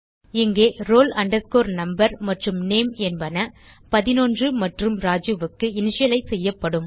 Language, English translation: Tamil, Here, roll number and name will be initialized to 11 and Raju